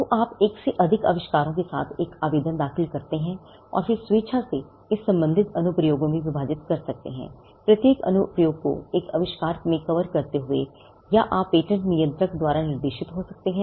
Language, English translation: Hindi, So, you file an application with more than one invention, then you can voluntarily divide it into the respective in applications, covering each application covering an invention, or you may be directed by the patent controller